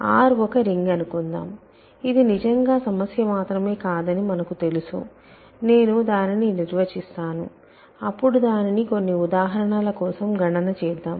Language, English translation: Telugu, So, let R be a ring, we know that this is really more not just a problem, but I am defining then you think and we will compute it for some examples